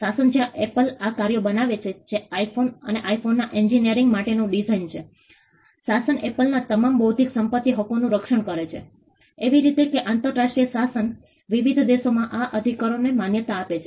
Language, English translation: Gujarati, The regime where Apple creates these works that is the design for the iPhone and the engineering of the iPhone, the regime protects all of Apples intellectual property rights; in such a way that the international regime recognizes these rights in different countries